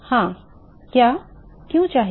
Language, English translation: Hindi, Yeah, why should what